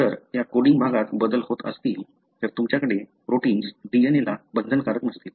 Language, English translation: Marathi, If there are changes in that coding region, so you may have, a protein will not be binding to the DNA